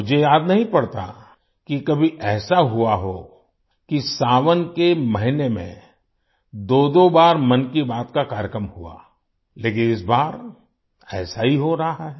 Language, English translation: Hindi, I don't recall if it has ever happened that in the month of Sawan, 'Mann Ki Baat' program was held twice, but, this time, the same is happening